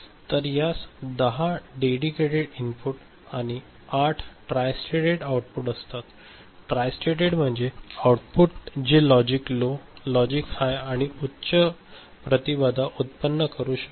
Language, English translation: Marathi, So, it has got 10 dedicated inputs 8 tri stated outputs right, tri stated means the output can generate logic low, logic high and high impedance